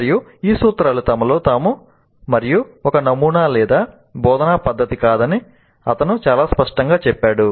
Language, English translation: Telugu, And he is very clear that these principles are not in and of themselves a model or a method of instruction